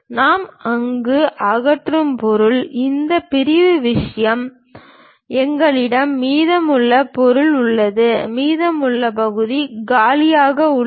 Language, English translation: Tamil, Then wherever the material we are removing, this sectional thing; we have left over material there, remaining part is empty